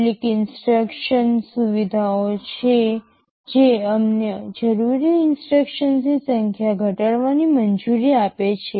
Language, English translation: Gujarati, There are some instruction features we shall be talking about which that allows us to reduce the number of instructions required